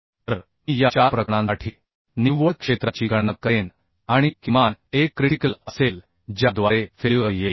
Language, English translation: Marathi, So I will calculate the net area for these four cases, and the minimum one will be the critical one through which the failure will occur right